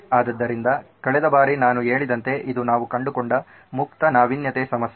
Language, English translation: Kannada, So again like I said last time this was an open innovation problem that we found